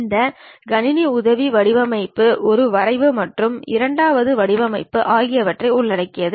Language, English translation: Tamil, This Computer Aided Design, basically involves one drafting and the second one designing